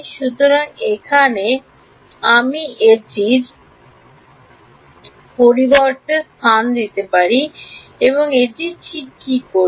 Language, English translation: Bengali, So, I can just substitute it over here and I get it ok